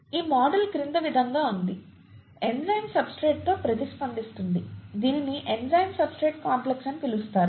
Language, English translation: Telugu, This model is as follows; the enzyme reacts with the substrate to reversibly form what is called the enzyme substrate complex, okay